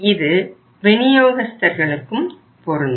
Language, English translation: Tamil, But that is true to the suppliers